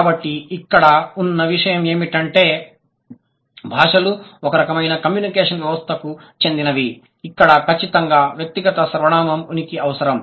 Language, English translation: Telugu, So, the fifth one is that because all languages belong to a type of communication system, right, where the presence of personal pronoun is required